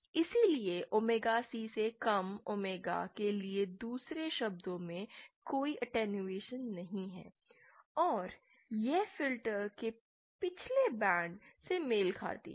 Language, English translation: Hindi, So in another words for omega lesser than omega C there is no attenuation, and it corresponds to the past band of the filter